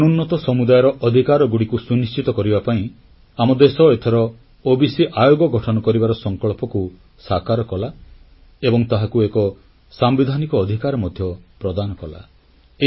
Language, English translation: Odia, The country fulfilled its resolve this time to make an OBC Commission and also granted it Constitutional powers